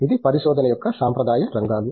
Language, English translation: Telugu, These have been the traditional areas of research